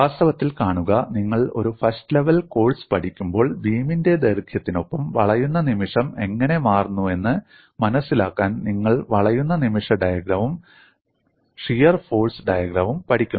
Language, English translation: Malayalam, See in fact, when you are learning a first level course, you learn the bending moment diagram and shear force diagram to understand how the bending moment changes along the length of the beam